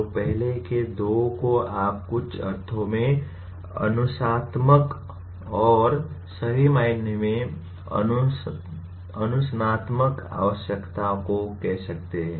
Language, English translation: Hindi, So the first two are truly what you call disciplinary in some sense disciplinary requirements